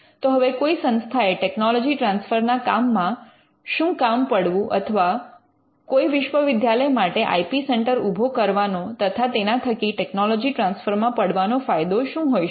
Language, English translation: Gujarati, Now, why should an institute involve in technology transfer or what is the need or what is the benefit that a university gets in establishing an IP centre or in doing this involving in technology transfer